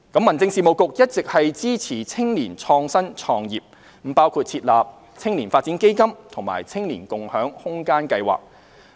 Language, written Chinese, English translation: Cantonese, 民政事務局一直支持青年創新創業，包括設立"青年發展基金"及"青年共享空間計劃"。, The Home Affairs Bureau has been supporting youth innovation and entrepreneurship including the establishment of the Youth Development Fund and the Space Sharing Scheme for Youth SSSY